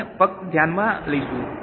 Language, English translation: Gujarati, We will just take into account